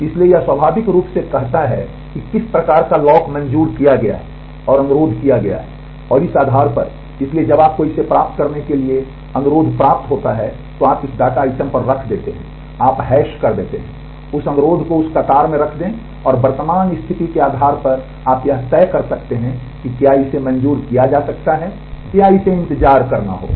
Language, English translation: Hindi, So, it takes it naturally says what type of lock is granted and requested and based on this therefore, when you get a request to put it in the you come and put it you hash it to that data item, put that request on that queue and based on the current status you can decide, whether it can be granted or it has to wait